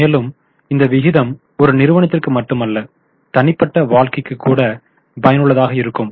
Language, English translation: Tamil, Now this ratio not only for the company even in the individual life it is useful